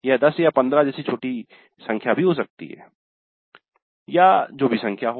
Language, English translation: Hindi, It could be a small number like 10 or 15, whatever be the number